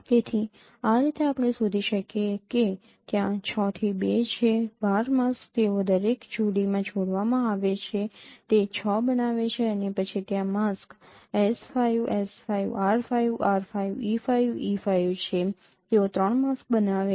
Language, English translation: Gujarati, So in this way you can find that there are there are six into two that 12 masks they are combined in each pair and they make it six and then there are masks S5 S5 R5 R5 5, E5, E5, they produce three lone masks